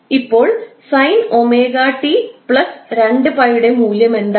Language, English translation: Malayalam, Now what is the value of sine omega T plus 2 pi